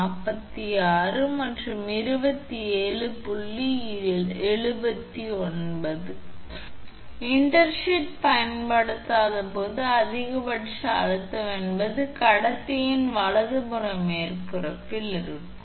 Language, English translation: Tamil, 79 this is max this is min when intersheath is not use maximum stress is at the surface of the conductor right